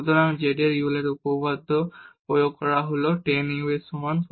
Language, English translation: Bengali, So, applying the Euler’s theorem on z is equal to tan u